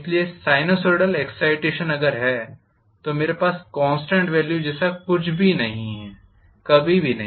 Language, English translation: Hindi, So sinusoidal excitation if I have there is nothing like a constant value, never ever